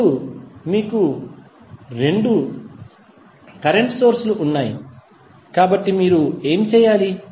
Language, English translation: Telugu, Now, you have now two current sources, so what you have to do